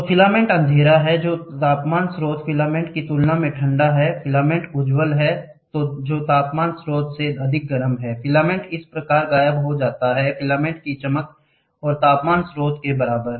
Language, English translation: Hindi, So, the filament is dark, that is cooler than the temperature source, the filament is bright that is hotter than the temperature source, the filament disappears thus this is equal to the brightness of the filament and the temperature source